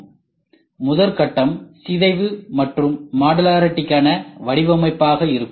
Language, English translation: Tamil, So, the phase I is going to be decomposition and design for modularity